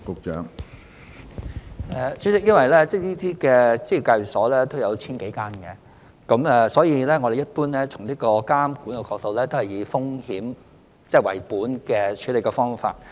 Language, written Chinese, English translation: Cantonese, 主席，由於這類職業介紹所有千多間，所以從監管的角度，我們一般都是採用風險為本的處理方法。, President as there are some 1 000 - odd EAs of this kind we generally adopt a risk - based approach from the regulatory perspective